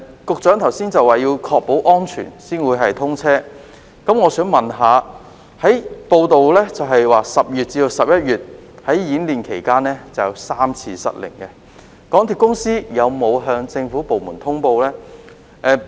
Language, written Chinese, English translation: Cantonese, 局長剛才表示要確保安全才會通車，但報道指出在10月至11月的演練期間，便曾有3次失靈，港鐵公司有否向政府部門通報相關情況呢？, The Secretary said earlier that the railway would commission only when safety was secured . Yet it is reported that the system failed three times during the drills in October and November . Has MTRCL notified government departments of the situation?